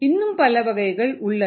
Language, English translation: Tamil, there are many different types